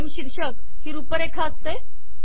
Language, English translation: Marathi, Frame title is outline